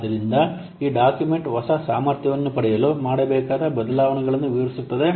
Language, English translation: Kannada, So this document explains the changes to be made to obtain the new capability